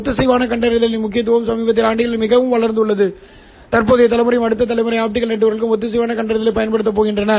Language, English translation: Tamil, The importance of coherent detection has grown so much over the recent years that the present generation and the next generation optical networks are using coherent detection